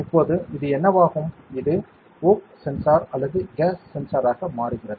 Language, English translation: Tamil, Now, what does this become, this becomes a voc sensor or gas sensor right